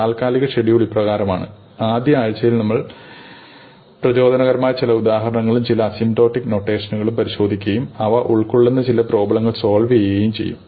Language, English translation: Malayalam, The tentative schedule is as follows: in the first week, we will do some motivating examples and we will look at some notations and work out some problems involving asymptotic complexity